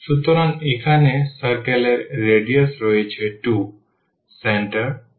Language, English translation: Bengali, So, there is a circle here of radius this 2, centre 0